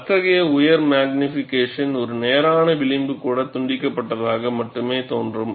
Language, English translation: Tamil, At such high magnification, even a straight edge would appear jagged only